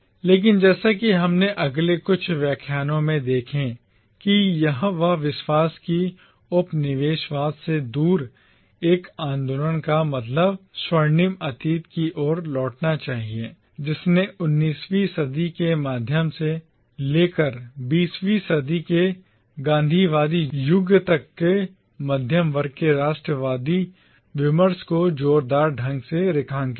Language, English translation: Hindi, But as we shall see in our next few lectures, the conviction that a movement away from colonialism should mean a return to a golden past strongly underlined the middle class nationalist discourse right from the 19th century down to the Gandhian era of the 20th century